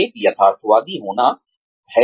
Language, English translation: Hindi, One has to be realistic